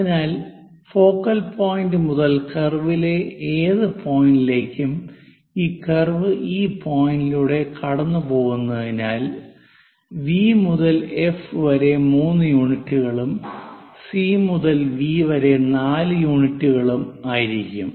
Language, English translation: Malayalam, So, focal point to any point on the curve, because if this curve pass through this point B somewhere here the focal point V to F will be 3 units and C to V will be 7 unit4 units